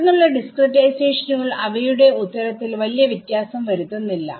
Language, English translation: Malayalam, Subsequent discretizations do not differ very much in their answer right